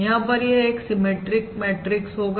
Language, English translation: Hindi, you can see this is a symmetric matrix